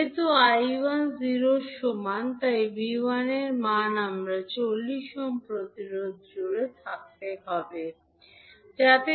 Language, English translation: Bengali, Since, I1 is equal to 0, the value of V1 would be across again the 40 ohm resistance